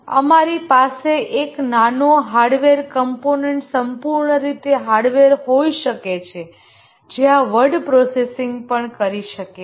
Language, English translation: Gujarati, We can even have a small hardware component, entirely hardware, which can also do this word processing